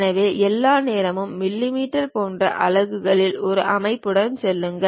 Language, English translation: Tamil, So, all the time go with one uh one system of units like mm